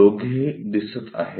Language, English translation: Marathi, Both are visible